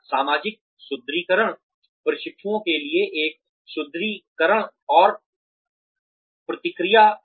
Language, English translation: Hindi, Social reinforcement is a reinforcement and feedback to the trainees